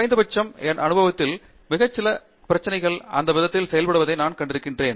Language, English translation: Tamil, At least in my experience, I have seen very few problems work that way